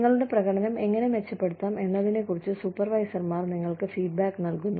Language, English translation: Malayalam, Supervisors give you feedback on, how to improve your performance